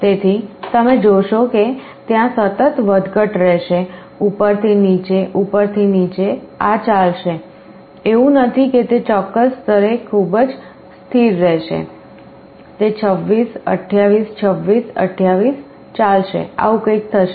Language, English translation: Gujarati, So, you will see there will be a continuous oscillation like this up down, up down, up down this will go on, it is not that it will be very stable at a certain level, it will be going 26, 28, 26, 28 something like this will happen